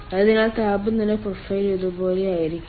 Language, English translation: Malayalam, so the temperature profile will be like this